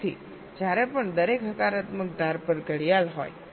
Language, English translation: Gujarati, so whenever there is a clock, at every positive edge